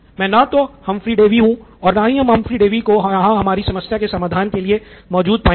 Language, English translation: Hindi, I am not Humphry Davy and Humphry Davy is not here anymore right